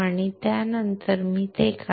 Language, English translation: Marathi, After that I will draw it